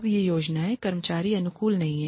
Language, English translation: Hindi, Now these plans are not employee friendly